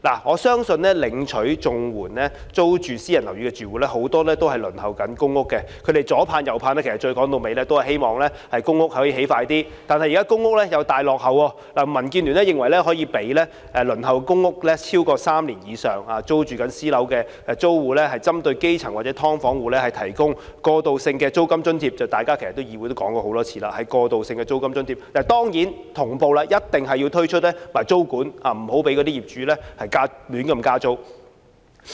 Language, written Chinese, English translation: Cantonese, 我相信租住私人樓宇的綜援戶大部分正輪候公屋，他們百般企盼，說到底只是希望公屋能盡快落成，但現時公屋的落成時間又大大落後，民主建港協進聯盟認為應讓輪候公屋3年或以上、租住私樓的住戶，針對基層或"劏房戶"提供過渡性租金津貼，其實大家在議會內已多次提出發放過渡性租金津貼的建議，當然，政府一定要同步推出租金管制，以免業主胡亂加租。, I believe most CSSA households living in rented private properties are waiting for allocation of PRH . Yearning desperately they just hope that PRH can be completed as soon as possible but now there is a serious lag in the completion of PRH . The Democratic Alliance for the Betterment and Progress of Hong Kong DAB holds that a transitional rent allowance should be provided for the grass roots or tenants of subdivided units who have been waitlisted for PRH for three years or more and living in rented private properties